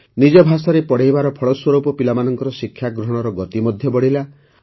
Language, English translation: Odia, On account of studies in their own language, the pace of children's learning also increased